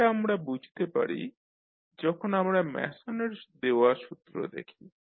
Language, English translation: Bengali, So this we can understand when we see the formula which was given by Mason